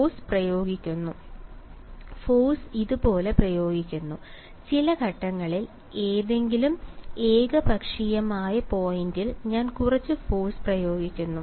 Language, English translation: Malayalam, Force is applied like this ok, at some point on the on the at any arbitrary point I am applying some force